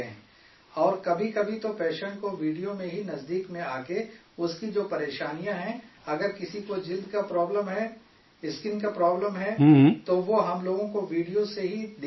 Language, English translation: Urdu, And sometimes, by coming close to the patient in the video itself, the problems he is facing, if someone has a skin problem, then he shows us through the video itself